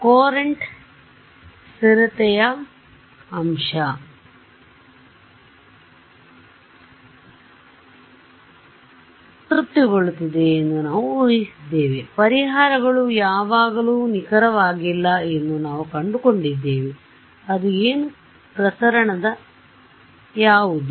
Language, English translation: Kannada, We assumed Courant stability factor is being satisfied, still we found that solutions were not always accurate, what was that dispersion right